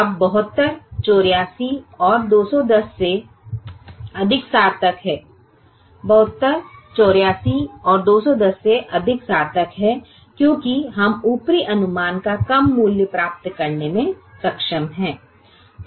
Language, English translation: Hindi, now seventy two is more meaningful than eighty four and two hundred and ten because we are able to get a lower value of the upper estimate